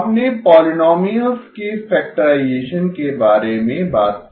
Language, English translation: Hindi, We talked about factorization of polynomials